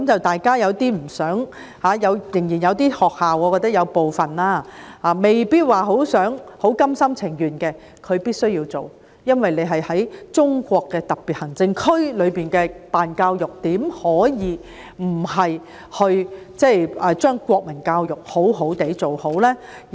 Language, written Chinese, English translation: Cantonese, 大家有點不想這樣，我覺得仍然有部分學校未必很甘心情願地依從，但它們必須這樣做，因為在中國的特別行政區裏辦教育，怎可以不把國民教育好好地辦好？, I think there are still some schools which may not be willing to comply with the rules . However they have to follow suit because in a special administrative region of China how can the schools not do well in national education?